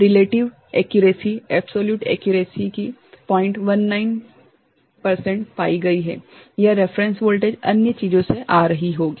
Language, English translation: Hindi, 19 percent absolute accuracy, it will be coming from the reference voltage other things